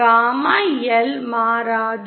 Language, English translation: Tamil, Gamma L does not change